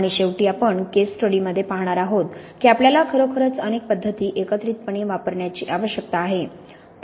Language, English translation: Marathi, And lastly as we will see in the case study there really, you really need to use several methods in combination